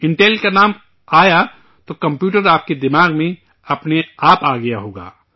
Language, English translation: Urdu, With reference to the name Intel, the computer would have come automatically to your mind